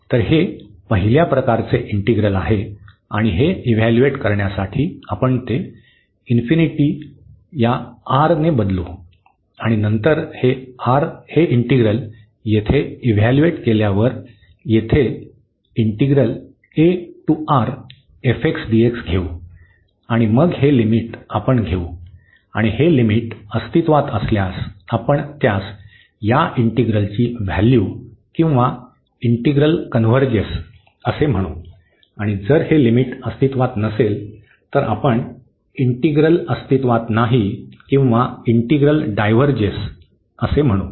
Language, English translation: Marathi, So, this is the integral of first kind and to evaluate this what we will do we will replace that infinity by R this number and then later on after evaluating this integral here a to R f x dx and then we will take this limit and if this limit exists we call that this is the value of this integral or the integral converges and if this limit does not exist then we call the limit that the integral does not exist or the integral diverges